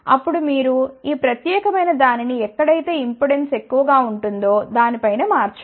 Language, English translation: Telugu, Then, you shift this particular thing above it where impedance will be higher